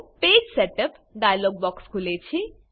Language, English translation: Gujarati, The Page Setup dialog box opens